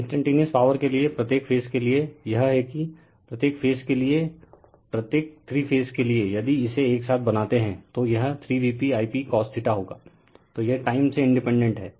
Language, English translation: Hindi, For instantaneous power, for your what you call each phase it is that as the each for each phase does, for three phase if you make it together, it will be 3 V p I p cos theta, so it is independent of time right